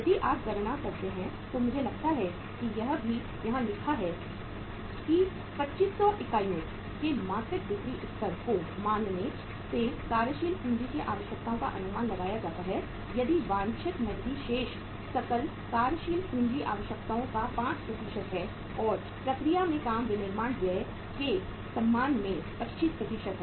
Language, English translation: Hindi, So if you calculate I think it is written here also that assuming the monthly sales level of 2500 units estimate the working capital requirements if the desired cash balance is 5% of the gross working capital requirements and work in process is 25% with respect to the manufacturing expenses